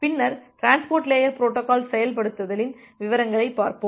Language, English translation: Tamil, And then, we will go to the details of the transport layer protocol implementation